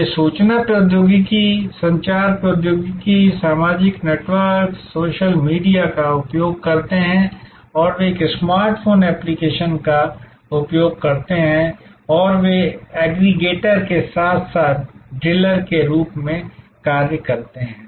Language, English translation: Hindi, They use information technology, communication technology, social networks, social media and they use a smart phone apps and they act as aggregators as well as deliverers